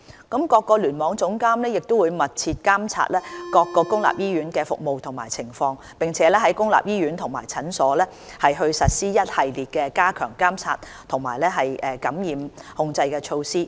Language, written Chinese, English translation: Cantonese, 各聯網總監會密切監察各公立醫院的服務情況，並在公立醫院及診所實施一系列加強監察和感染控制的措施。, The Cluster Chief Executives will closely monitor the service situation of each public hospital and implement a series of enhanced surveillance and infection control measures in public hospitals and clinics